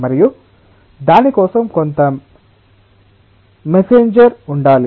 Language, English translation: Telugu, and there must be some messenger for that